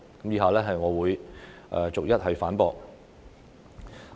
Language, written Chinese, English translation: Cantonese, 以下我會逐一反駁。, I will refute these arguments one by one